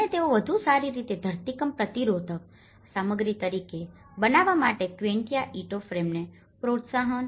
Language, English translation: Gujarati, And they want to promote the quincha timber frame instead to be as a better earthquake resistant material